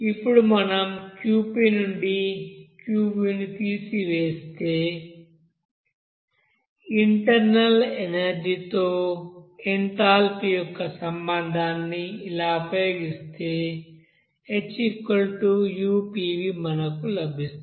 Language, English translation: Telugu, Now if we subtract this you know Qv from Qp and use the relationship of enthalpy with this you know internal energy as like this H = U + pV